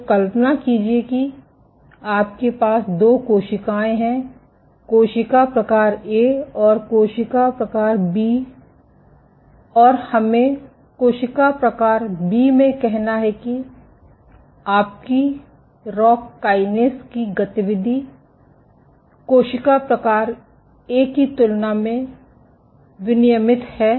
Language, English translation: Hindi, So, imagine you have two cells; cell type A and cell type B and let us say in cell type B your rock kinase activity is up regulated compared to cell type A